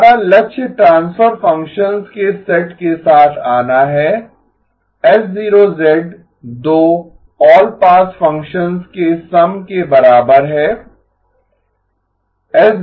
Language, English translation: Hindi, Our goal is to come up with a set of transfer functions H0 of z to be equal to sum of 2 all pass functions